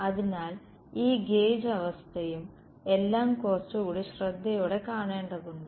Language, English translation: Malayalam, And so, this gauge condition and all has to be seen little bit more carefully